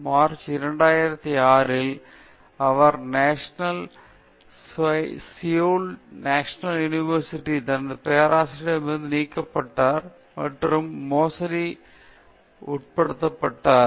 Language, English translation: Tamil, In March 2006, he was fired from his professorship at Seoul National University and was charged with fraud and embezzlement